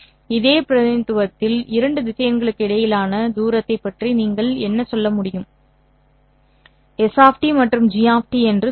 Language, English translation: Tamil, On this same representation, what can you say about the distance between two vectors, say S of T and G of T